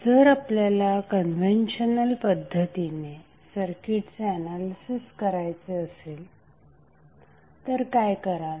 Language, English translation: Marathi, If you see the conventional way of circuit analysis what you have to do